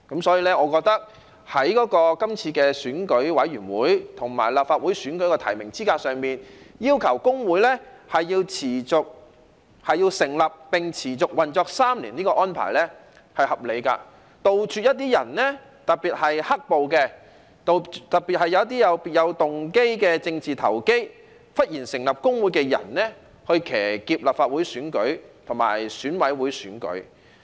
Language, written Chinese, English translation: Cantonese, 所以，我認為今次在選委會和立法會選舉的提名資格上，要求工會成立並持續運作滿3年的安排是合理的，以杜絕一些人，特別是"黑暴"和別有動機的政治投機者忽然成立工會，以騎劫立法會選舉和選委會選舉。, Hence I consider that the requirement for a trade union to have been in continuous operation for at least three years after establishment in order to be eligible to be a nominee in EC and Legislative Council elections is reasonable so as to prevent people especially black - clad rioters and political opportunists with ulterior motives from suddenly setting up trade unions to hijack the Legislative Council and EC elections . Originally it is inevitable that labour movement is related to politics